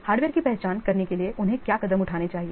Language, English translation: Hindi, What are the steps they must be followed to identify the hardware